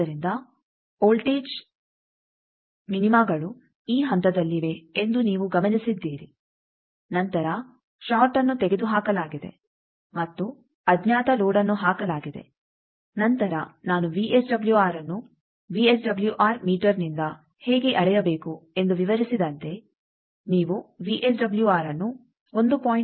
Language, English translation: Kannada, So, you have noted that voltage minima's are at this points, then short removed and unknown load put then, as I described how to measure VSWR by VSWM meter you have measured the VSWR to be 1